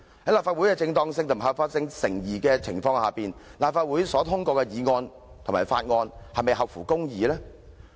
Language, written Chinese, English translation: Cantonese, 在立法會的正當性和合法性成疑的情況下，立法會所通過的議案和法案是否合乎公義？, While there are doubts about the legitimacy and legality of the Legislative Council will the motions and bills passed by the Legislative Council represent justice?